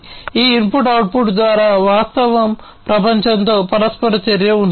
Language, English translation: Telugu, Through this input output, there is interaction with the real world, right